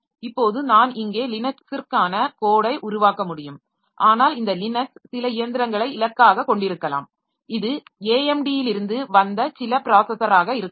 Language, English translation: Tamil, Now I can develop the code for Linux here but this Linux may be targeted to some machine which is some processor which is from AMD